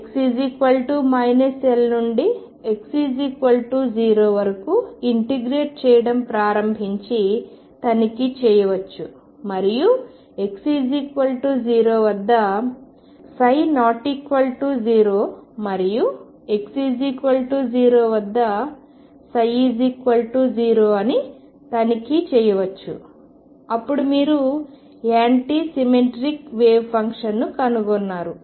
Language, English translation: Telugu, You can also check start integrating from x equals minus L from up to x equals 0 and check if psi prime is not equal to 0 at x equal to 0 and psi is 0 at x equals 0 then you have found anti symmetric wave function this is an anti symmetric wave function